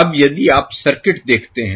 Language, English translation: Hindi, Now, if you see the circuit